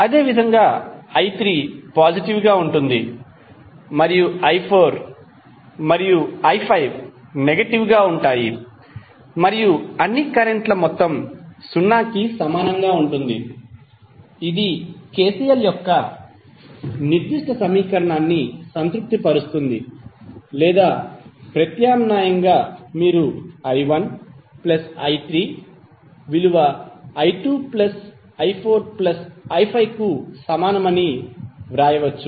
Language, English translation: Telugu, Similarly, i3 ¬is positive and i¬4 ¬¬and i¬5¬ are negative and the sum of all the currents would be equal to 0 which is satisfying the particular equation of KCL or alternatively you can write that i¬1 ¬plus i¬3 ¬is equal to i¬¬¬2¬ plus i¬¬4 ¬plus i¬5¬